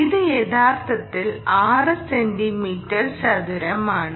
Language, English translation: Malayalam, ok, this is actually six centimeter square